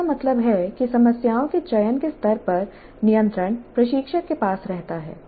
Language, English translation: Hindi, That means at the level of choosing the problems the control rests with the instructor